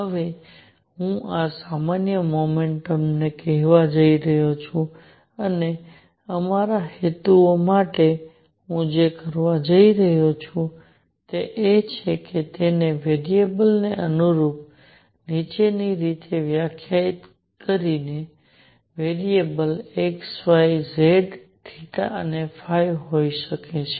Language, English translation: Gujarati, Now I am going to call this generalized momentum and for our purposes for our purposes what I am going to do is define it in the following manner corresponding to a variable that variable could be x, y, z theta, phi